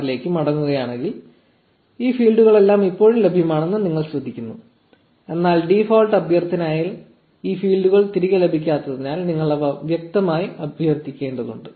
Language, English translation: Malayalam, 6, you notice that all these fields are still available, but you need to explicitly request for these fields they are not returned by the default request